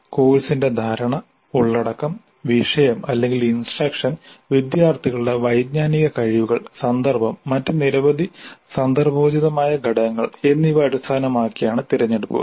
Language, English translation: Malayalam, The choices are based on our perception of the course, the content, the subject, our instruction, cognitive abilities of the students, context and many other contextual factors